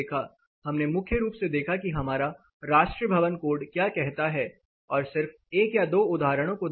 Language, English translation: Hindi, We primarily looked that what our national building code says part from just one or two examples are brought